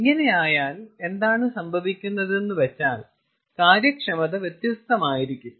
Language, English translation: Malayalam, ok, so then what happens is the efficiencies will be different